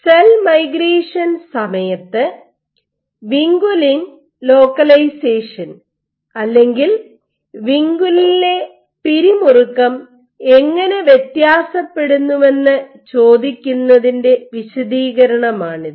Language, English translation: Malayalam, The extend of the study to ask that how does vinculin localization or tension in vinculin vary during cell migration